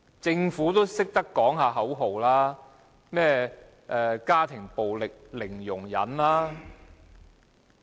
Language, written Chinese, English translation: Cantonese, 政府也懂得喊口號，說甚麼"家庭暴力零容忍"。, And even the Government chants slogans like Zero tolerance of domestic violence